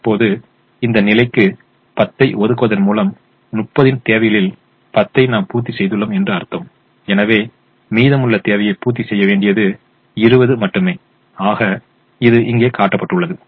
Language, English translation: Tamil, now, by allocating ten to this position, we have now met ten out of the thirty requirement and therefore the remaining requirement that has to be met is only twenty, which is shown here